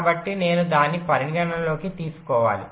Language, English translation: Telugu, so i must take that in to account